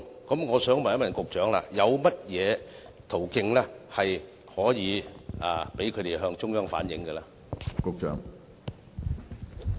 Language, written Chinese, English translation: Cantonese, 我想問局長，有甚麼途徑可以讓他們向中央反映意見呢？, I want to ask the Secretary if there are any channels for them to convey their opinions to the Central Authorities?